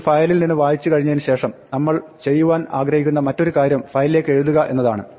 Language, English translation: Malayalam, Having read from a file then the other thing that we would like to do is to write to a file